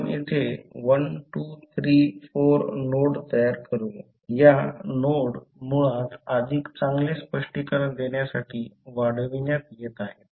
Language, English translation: Marathi, So, here we will 1 2 3 4 terms so we will create 1 2 3 4 nodes now this node is basically being extended to give you better clarity